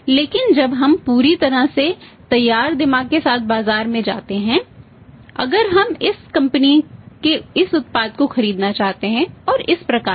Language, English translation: Hindi, But when we go to the market with the mind fully prepared if you want to buy this product of this company this variant